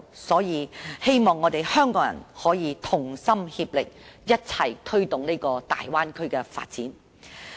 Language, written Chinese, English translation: Cantonese, 所以，我希望香港人可以同心協力，共同推動大灣區的發展。, So we hope Hong Kong people can join hands to push forward the development of the Bay Area with concerted efforts